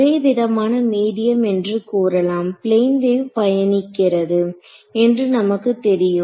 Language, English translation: Tamil, So, in a, let us say a homogeneous medium, we know that a plane wave is traveling right